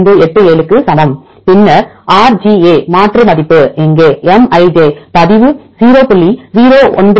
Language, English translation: Tamil, 1587 then RGA substitute value is here log of Mij equal to 0